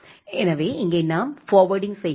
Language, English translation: Tamil, So, here we are doing the forwarding